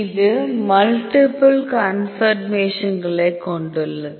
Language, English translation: Tamil, So, it has multiple conformations